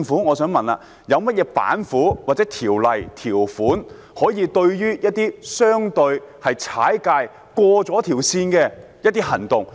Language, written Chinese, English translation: Cantonese, 我想問政府有何"板斧"，或條例、條款可以對付一些相對"踩界"、過了底線的行為？, I would like to ask the Government what tactics ordinances or provisions are in place to deal with some acts that have somehow overstepped the mark or crossed the bottom line?